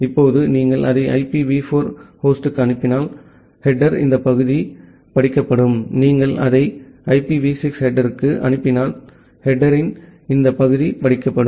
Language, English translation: Tamil, Now, if you are sending it to IPv4 host these part of the header will be read, if you are sending it to the IPv6 header this part of the header will be read out